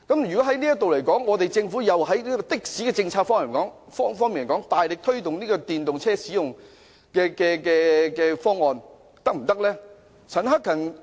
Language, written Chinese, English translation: Cantonese, 如果是這樣，政府從的士政策方面，大力推動使用電動車的方案，又是否可行呢？, Under the circumstances is it feasible for the Government to actively promote the use of EVs under the taxi policy?